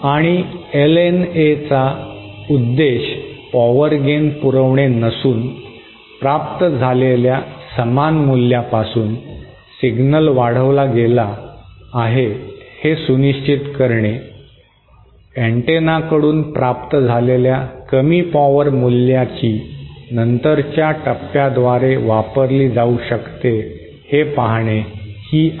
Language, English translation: Marathi, And the purpose of LNA is not to provide power gain so much but to ensure that the signal is amplified from a similar value received, low power value received from the antenna to a value which can be used by subsequent stages